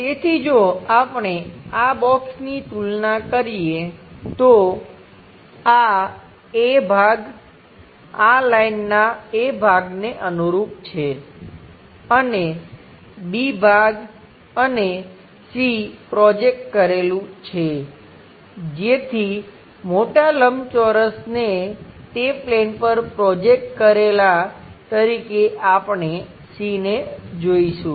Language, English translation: Gujarati, So, if we are comparing these boxes, this A part corresponds to A part of this line; and B part is B part of this part; and C projected version so we will see as C prime whatever that big rectangle projected onto that plane